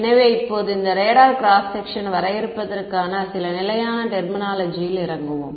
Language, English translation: Tamil, So, now let us get into some standard terminology for defining this radar cross section ok